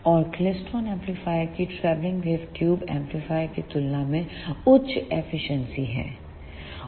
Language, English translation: Hindi, And the klystron amplifiers have higher efficiency as compared to the travelling wave tube amplifiers